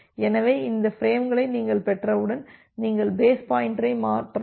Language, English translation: Tamil, So, once you have received these frames so, you can shift the base pointer